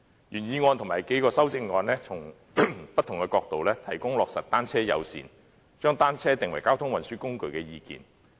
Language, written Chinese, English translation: Cantonese, 原議案及數項修正案從不同的角度，提供制訂單車友善政策，將單車定為交通運輸工具的意見。, The original motion and the several amendments seek to express views from different angles on formulating a bicycle - friendly policy and designating bicycles as a mode of transport